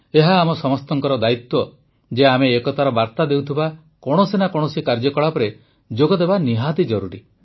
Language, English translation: Odia, It is our duty that we must associate ourselves with some activity that conveys the message of national unity